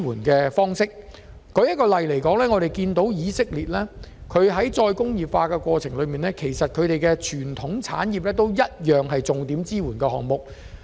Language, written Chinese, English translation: Cantonese, 舉例來說，以色列在再工業化的過程中，把當地的傳統產業列作重點支援產業。, A case in point is Israel . In the process of re - industrialization Israel selected its traditional industry as a priority industry